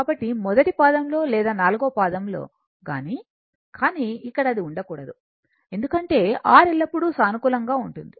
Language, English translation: Telugu, So, either in the first quadrant or in the fourth quadrant, but here it should not be there, because R is always positive